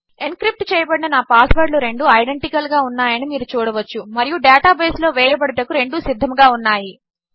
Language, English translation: Telugu, You can see that my 2 encrypted passwords are identical and both of them are ready to be put in the database